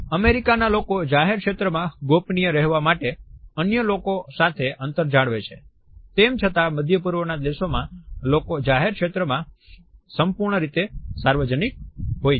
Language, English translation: Gujarati, Even when in public areas Americans keep a distance from other people to protect privacy, yet in Middle Eastern nations, public areas are purely public